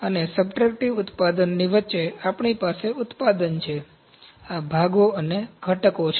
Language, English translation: Gujarati, And in between of in subtractive manufacturing, we have manufacturing, this is parts and components